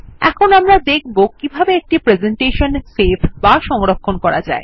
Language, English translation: Bengali, Now lets learn how to save the presentation